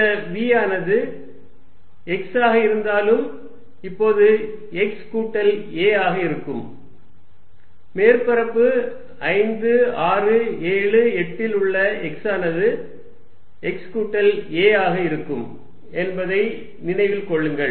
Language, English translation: Tamil, And this v though is going to be act x is now x plus a, remember the surface 5, 6, 7, 8 is at x this is going to be x plus a